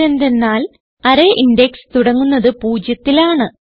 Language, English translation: Malayalam, This is because array index starts from 0